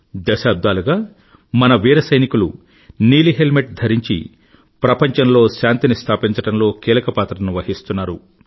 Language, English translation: Telugu, For decades, our brave soldiers wearing blue helmets have played a stellar role in ensuring maintenance of World Peace